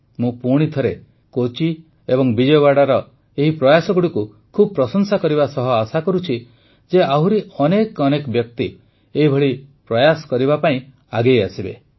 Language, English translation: Odia, I once again applaud these efforts of Kochi and Vijayawada and hope that a greater number of people will come forward in such efforts